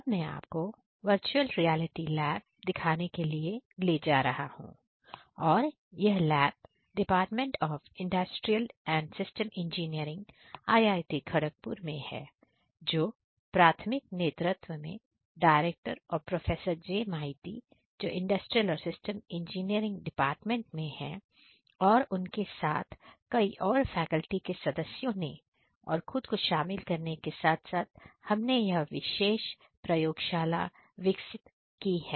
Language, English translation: Hindi, I am now going to take you through one of the state of the art facilities in Virtual Reality in the country and there this particular lab the virtual reality lab was developed in the department of industrial and systems engineering at IIT Kharagpur, under the primary leadership of Director and Professor J Maiti of the industrial and systems engineering department and along with him there were different other faculty members including myself together we have developed this particular lab